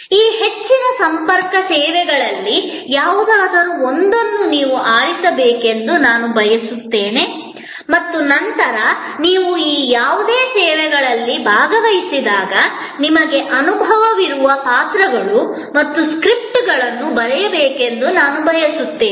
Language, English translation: Kannada, I would like you to choose any one of this high contact services and then, I would like you to write the roles and the scripts, that you have experience when you have participated in any one of this services